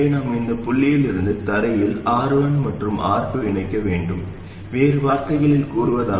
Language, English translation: Tamil, So we will have R1 and R2 from this point to ground, in other words R1 parallel R2